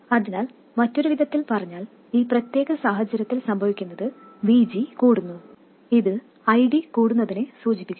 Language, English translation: Malayalam, So in other words, if in this particular case what happens is VG increases which implies that ID also increases